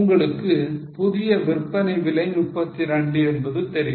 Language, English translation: Tamil, You know the new selling price which is 32